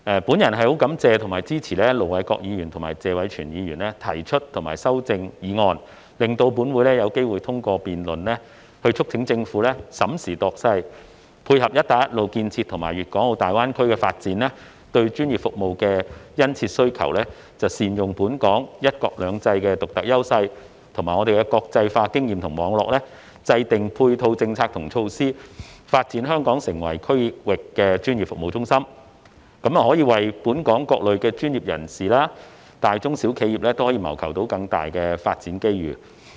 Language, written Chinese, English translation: Cantonese, 本人感謝及支持盧偉國議員及謝偉銓議員提出議案及修正案，讓本會有機會通過辯論，促請政府審時度勢，配合"一帶一路"建設和粵港澳大灣區發展對專業服務的殷切需求，善用本港"一國兩制"的獨特優勢，以及國際化經驗及網絡，制訂配套政策及措施，發展香港成為區域專業服務中心，為本港各類專業人士和大、中、小型企業謀求更多發展機遇。, I am thankful for and supportive of the motion and the amendment proposed by Ir Dr LO Wai - kwok and Mr Tony TSE respectively . This has given this Council an opportunity of debate to urge the Government to take into account the needs of the times and capitalize on Hong Kongs unique advantages presented by one country two systems and also by its international experience and networks so as to formulate support policies and measures for dovetailing with the keen demand for professional services arising from the construction of Belt and Road and the development of the Guangdong - Hong Kong - Macao Greater Bay Area with a view to developing Hong Kong into a regional professional services centre and seeking more development opportunities for various types of professionals and also small medium and large enterprises in Hong Kong